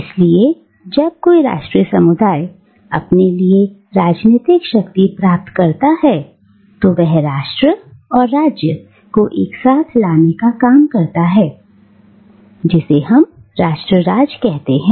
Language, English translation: Hindi, So when a national community acquires for itself the trappings of political power it is that sort of bringing together of nation and state that we know as nation state, right